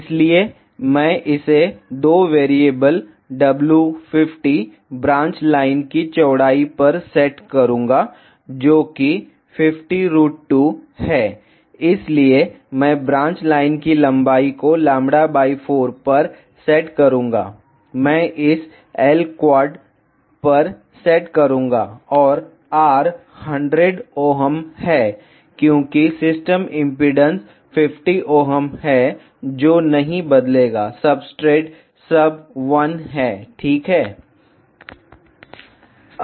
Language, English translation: Hindi, So, I will set it 2 variables w 50 width of branch lines which is 50 route to sorry set to w b length of the branch lines lambda by 4, I will set it to L quad and R is 100 ohms because the system impedance is 50 ohms which will not change, the substrate is sub 1 ok